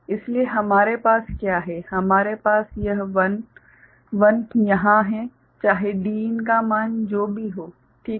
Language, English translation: Hindi, So, what we are having we are having a 1 1 over here irrespective of whatever be the value of Din ok